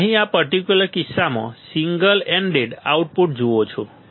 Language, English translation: Gujarati, You see here in this particular case single ended output